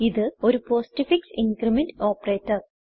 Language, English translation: Malayalam, Lets see how the postfix increment operator works